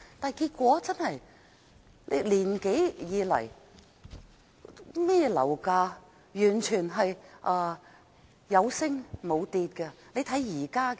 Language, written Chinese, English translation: Cantonese, 但結果是1年多以來，樓價完全是有升無跌。, But it has been more than a year now and property prices have risen across the board